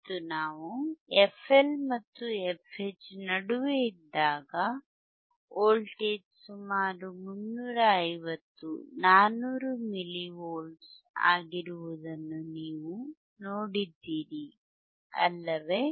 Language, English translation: Kannada, And or when we were between f L were between f L and f H, you would have seen the voltage which was around 350, 400 milli volts, right